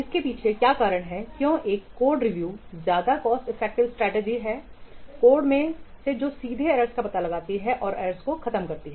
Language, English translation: Hindi, The reason behind why code review is a much more cost effective strategy is to eliminate the errors from code compared to testing is that review directly detect the errors